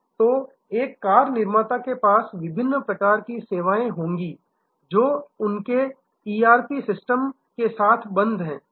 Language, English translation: Hindi, So, a car manufacturer will have different types of services which are locked in with their ERP system